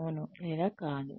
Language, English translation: Telugu, Well, yes or no